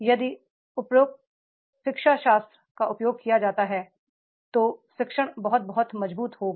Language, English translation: Hindi, If appropriate pedagogy is used, the learning will be very, very strong